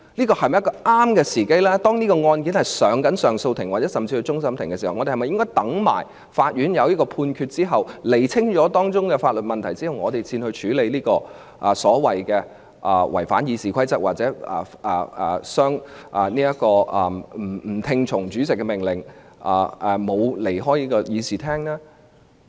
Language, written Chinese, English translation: Cantonese, 鑒於相關案件已提交上訴庭，甚至可能提交至終審法院，我們是否應待法院作出判決，釐清當中的法律問題後，才處理議員所謂違反《議事規則》或不聽從主席的命令，又沒有離開議事廳的控罪呢？, Given that the relevant case has been referred to the Court of Appeal and will probably be referred to CFA should we not wait until a ruling is given by the Court in clarifying the relevant legal issues before addressing the accusations of Members supposed contravention of the Rules of Procedure or disobedience to the Presidents order and their refusal to leave the Chamber?